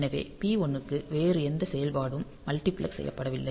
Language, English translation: Tamil, So, P 1 does not have any other function multiplexed into it